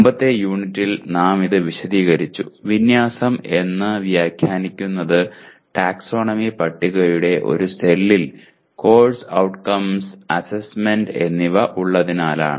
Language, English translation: Malayalam, This we have explained in the previous unit saying that alignment is interpreted as the assessment being in the same cell of the taxonomy table as the course outcome